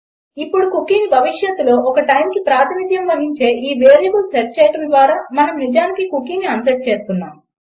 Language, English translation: Telugu, Now by setting the cookie to this variable which represents a time in the future, we are actually unsetting the cookie